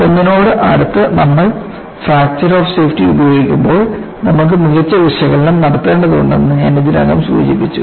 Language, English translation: Malayalam, I had already mentioned that when you use the factor of safety closer to unity, then you need to have better analysis